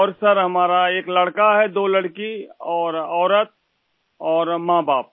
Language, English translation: Hindi, And Sir, I have a son, two daughters…also my wife and parents